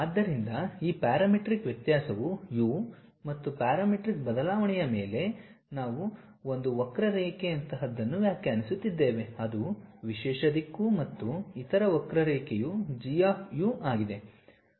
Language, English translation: Kannada, So, that parametric variation is u and on the parametric variation we are defining something like a curve it goes along that the specialized direction and other curve is G of u